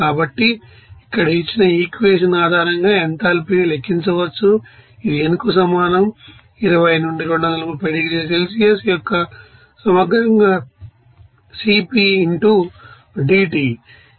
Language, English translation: Telugu, So, here enthalpy can be calculated based on this equation here given that is equal to n into integral of 20 to 230 degree Celsius into Cp into dT